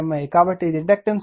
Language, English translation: Telugu, So, mutual inductance and voltage generator